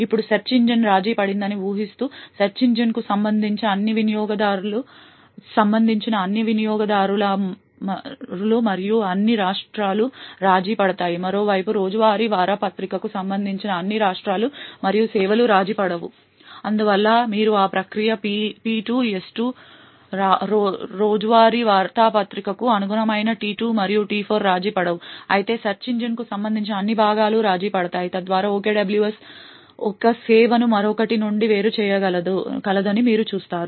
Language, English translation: Telugu, Now assuming that the search engine gets compromised then all the users and all the states corresponding to the search engine is compromised, on the other hand all the states and services corresponding to the daily newspaper is not compromised thus you see that process P2, S2, T2 and T4 which corresponds to the daily newspaper remains uncompromised while all the components corresponding to the search engine would get compromised thus you see that OKWS has been able to isolate one service from the other